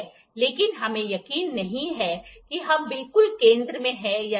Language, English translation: Hindi, But, we are not sure that are we exactly at the center or not